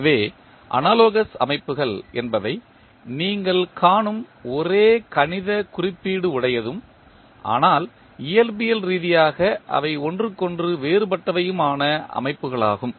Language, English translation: Tamil, So, analogous systems are those systems where you see the same mathematical representation but physically they are different with each other